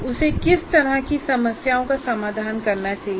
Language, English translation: Hindi, So what kind of problem should he solve